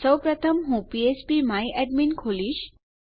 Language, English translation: Gujarati, First I will open php my admin